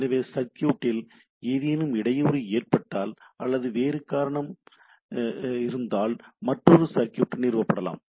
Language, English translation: Tamil, So the circuit once they are if there is disruption or some other reason there can be another circuits can be established